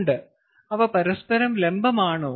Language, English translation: Malayalam, are they perpendicular to each other